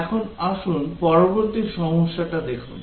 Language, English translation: Bengali, Now, let us look at the next problem